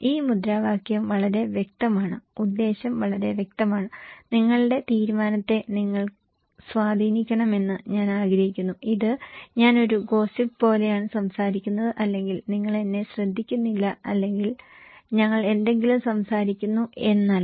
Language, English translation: Malayalam, This slogan is pretty clear, the intention is very clear, I want you to influence your decision, it’s not that I am talking like a gossip or you are not listening to me or we are talking anything